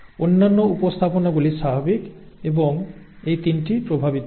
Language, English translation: Bengali, The other representations are the normal representations and these 3 are affected